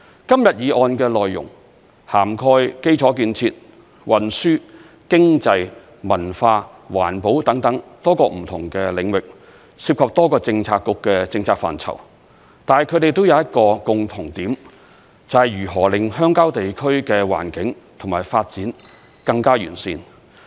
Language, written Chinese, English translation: Cantonese, 今天議案的內容涵蓋基礎建設、運輸、經濟、文化、環保等多個不同的領域，涉及多個政策局的政策範疇，但它們都有一個共同點，就是如何令鄉郊地區的環境和發展更加完善。, The contents of the motion today cover various different domains such as infrastructure development transportation economy culture and environmental protection and it involves the purviews of various Policy Bureaux . But then they all pertain to one question the question of how to improve the environment and development of rural areas